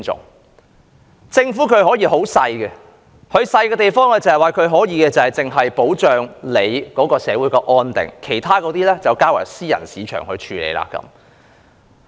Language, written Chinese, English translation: Cantonese, 一個政府的規模可以很小，小得只負責保障社會安定，把其他事情都交由私人市場處理。, The scale of a government can be very small such that it is only responsible for safeguarding social security while all other functions can be left to the private market